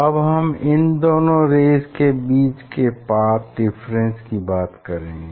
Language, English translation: Hindi, Now, what is the path difference between these two ray